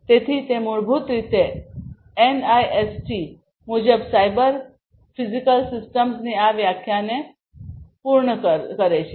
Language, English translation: Gujarati, So, that basically completes this definition of the cyber physical systems as per NIST